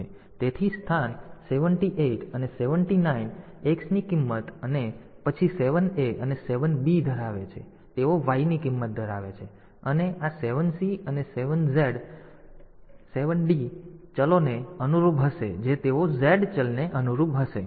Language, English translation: Gujarati, So, the location 78 a 7 8 and 7 9 they will hold the value of X and then 7 A and 7 B, they will hold the value of Y and these 7 C and 7 D they will correspond to the variables they will correspond to the variable Z